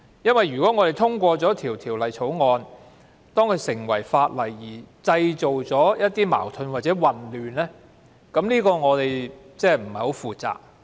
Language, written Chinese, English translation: Cantonese, 如果《條例草案》在通過成為法例後會製造一些矛盾或混亂，這樣我們便太不負責任了。, We will be acting irresponsibly if the Bill that will create contradiction or confusion is enacted